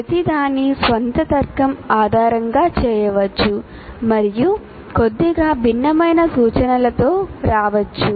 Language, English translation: Telugu, Each one can based on their logic, they can come with a slightly different instruction